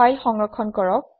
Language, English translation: Assamese, Save your file